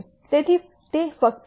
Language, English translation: Gujarati, So, it is just one variable